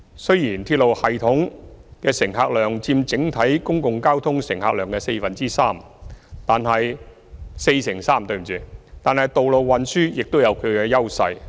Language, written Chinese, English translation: Cantonese, 雖然鐵路系統的乘客量佔整體公共交通乘客量約四成三，但道路運輸亦有其優勢。, Although the passenger volume of the railway system accounts for about 43 % of the overall passenger volume of public transport road transport also has its advantages